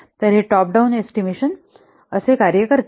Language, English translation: Marathi, So this is how the top down estimation this works